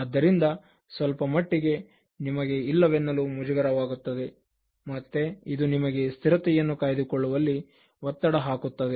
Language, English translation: Kannada, So, you will be feeling somewhat embarrassed to say no and that will put pressure on you to maintain consistency